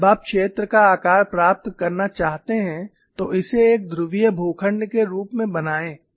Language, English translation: Hindi, And when you want to get the shape of the zone, make it as a polar plot